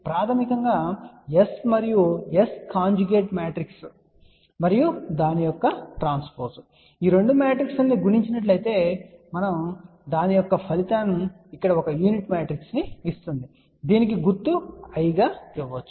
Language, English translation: Telugu, Basically S and that is S conjugate matrix and transpose of that that product of these two matrices will give a unique matrix over here which is given symbol as I